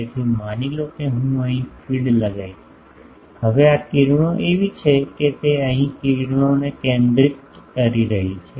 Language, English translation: Gujarati, So, suppose I put the feed here, now the rays this A is such that it is focusing the rays here suppose it is a receiving system